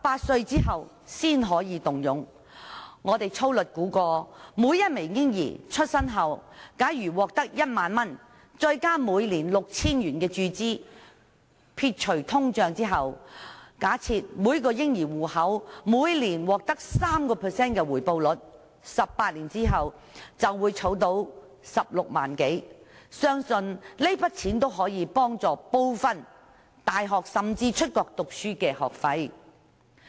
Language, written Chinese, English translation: Cantonese, 據我們粗略估算，按每名嬰兒出生後獲得1萬元注資，再加上每年注資 6,000 元，假設每個嬰兒戶口每年獲得 3% 的回報率計算，撇除通脹 ，18 年後便儲得16多萬元，相信這筆資金可以支付他們入讀大學甚至出國留學的部分學費。, According to our rough estimation if computation is based on a 10,000 injection received by a baby after birth coupled with an annual injection of 6,000 and assuming an annual 3 % rate of return received by each babys account with inflation discounted more than 160,000 will be saved over a period of 18 years . I believe this sum of money can meet part of the tuition fees of their university education or studies abroad